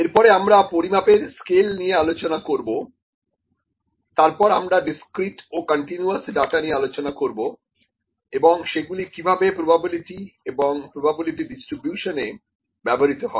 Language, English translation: Bengali, Then we will discuss the scales of measurement, then I will discuss about discrete and continuous data and how these are used in probability and probability distributions